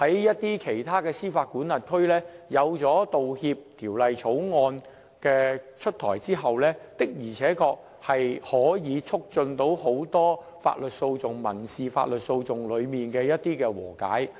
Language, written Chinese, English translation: Cantonese, 一些司法管轄區在道歉法例出台後，的而且確能促進很多法律訴訟、民事法律訴訟的和解。, In some overseas jurisdictions the implementation of apology legislation could really facilitate the settlement of many legal proceedings and civil proceedings